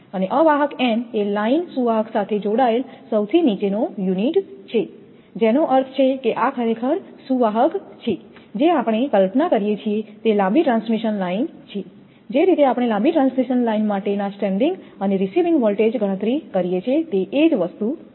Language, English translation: Gujarati, And insulator n is the lowest unit attached to the line conductor that means, this one this is conductor this is conductor actually we imagine that is a long transmission line the way we have done that your sending and receiving voltage calculation for the long transmission line this is the same thing